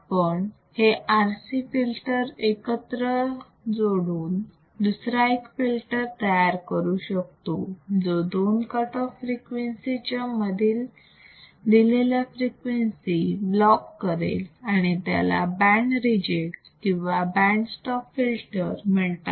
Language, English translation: Marathi, We can also combine these RC filter to form another type of filter that can block, or severely attenuate a given band frequencies between two cutoff frequencies, and this is called your band reject or band stop